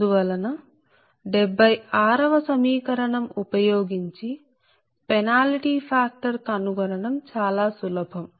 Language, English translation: Telugu, thus it is very easy to find out the penalty factor using your equation seventy six